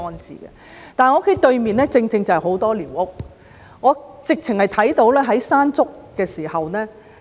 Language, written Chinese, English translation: Cantonese, 之前，我家對面正正有很多寮屋，我曾看到颱風"山竹"對寮屋的影響。, Previously on the opposite side of my flat there were many squatter structures and I had witnessed the impact of Typhoon Mangkhut on those squatter structures